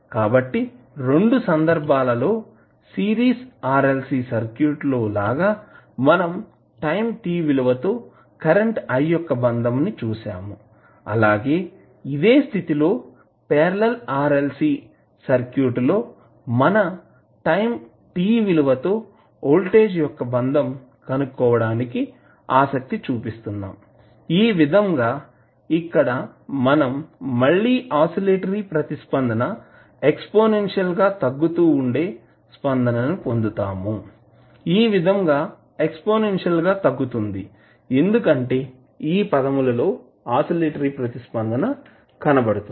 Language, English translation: Telugu, So in both of the cases like in case of series RLC circuit, we were comparing the current i with respect to time, in this case since it is a parallel RLC circuit we are interested in finding out the voltage with respect to time, so here you will again get the oscillatory response with exponentially decaying, so exponentially decaying because of this term oscillatory response would be because of this term